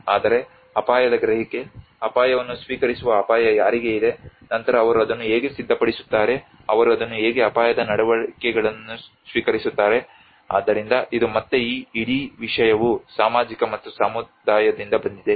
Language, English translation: Kannada, But there is also the risk perception, risk acceptance as risk to whom then how do they prepare for it how do they accept it risk behaviour so this is again this whole thing comes from the social and community